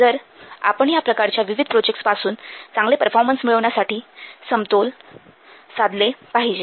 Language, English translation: Marathi, So, we have to do a balance between these different kinds of projects